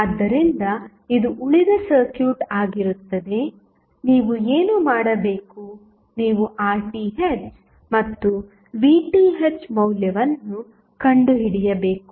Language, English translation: Kannada, So, this would be rest of the circuit, what you have to do you have to find out the value of Rth and Vth